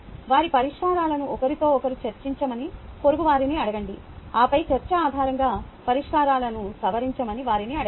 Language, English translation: Telugu, ask neighbors to discuss their solutions with each other and then ask them to revise solutions based on the discussion